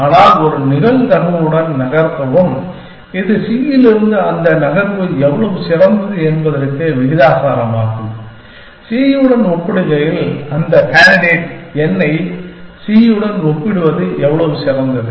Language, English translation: Tamil, But, move to that with a probability, which is proportional to how better that move n is from c, as compare to c, how better that